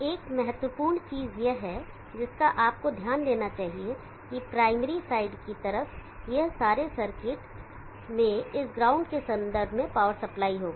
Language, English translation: Hindi, One important think that you should notice is that on the primary side all this circuits will have a power supply with reference to this ground